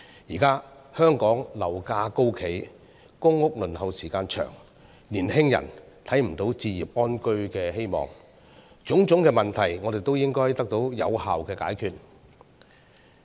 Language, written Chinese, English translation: Cantonese, 現時香港樓價高企，公屋輪候時間長，年輕人看不到置業安居的希望，種種問題我們都應該得到有效的解決。, Various existing problems such as high property prices long waits for public housing and young peoples remote prospects of home ownership have to be effectively resolved